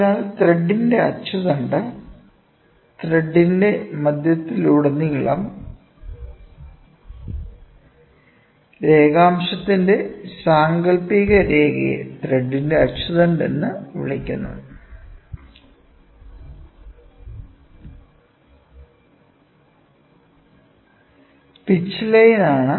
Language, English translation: Malayalam, So, axis of the thread, it is the imaginary line running of longitudinal throughout the centre of the thread is called as axis of thread, which is nothing but pitch line